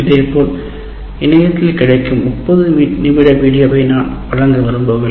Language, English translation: Tamil, Similarly, video material, if there is a 30 minute video, I cannot give all that stuff